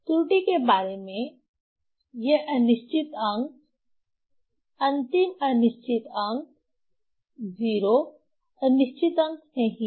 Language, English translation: Hindi, So, that about the error, so this doubtful digit, last doubtful digit, 0 is not the doubtful digit